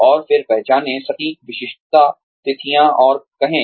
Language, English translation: Hindi, And then identify, exact specific dates, and say